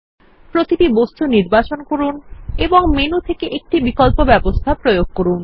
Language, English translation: Bengali, Select each object and apply each option from the arrange menu